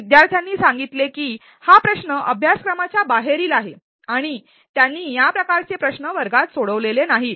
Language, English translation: Marathi, Well, the students commented that the problem question was out of syllabus and they had not done such a problem question in the class